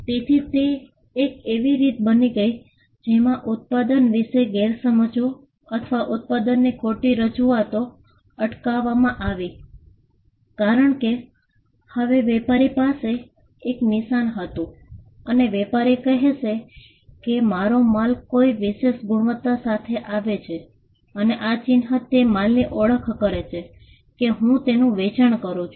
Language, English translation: Gujarati, So, it became a way in which, misconceptions about the product or misrepresentations of the product was prevented because, now the trader had a mark and the trader would tell that my goods come with a particular quality and this mark identifies the goods that I am selling